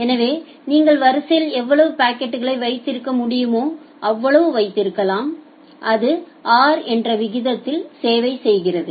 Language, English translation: Tamil, So you can hold as much as many that much of packet in the queue and it serves at a rate of r